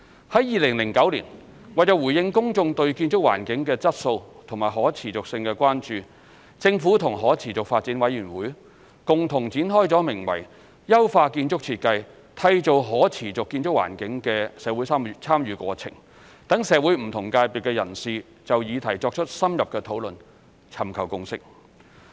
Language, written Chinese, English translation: Cantonese, 於2009年，為回應公眾對建築環境的質素和可持續性的關注，政府與可持續發展委員會共同展開了名為"優化建築設計締造可持續建築環境"的社會參與過程，讓社會不同界別人士就議題作出深入討論、尋求共識。, In 2009 in response to public concerns over the quality and sustainability of the built environment the Government has launched in collaboration with the Council for Sustainable Development SDC a public engagement process entitled Building Design to Foster a Quality and Sustainable Built Environment with a view to reaching a consensus with various sectors of the community through in - depth discussions on the matter